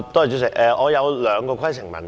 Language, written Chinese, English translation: Cantonese, 主席，我有兩項規程問題。, President I have two points of order